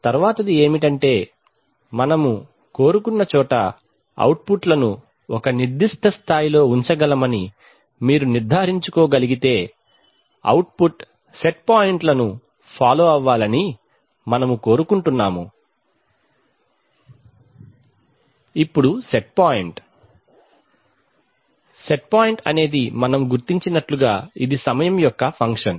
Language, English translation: Telugu, The next is to, once you we can ensure that we can hold the outputs at a certain level wherever we want to, we want the output to follow the set points that is, we want that the output will follow the set point